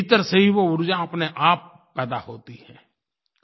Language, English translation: Hindi, That energy is generated from within on its own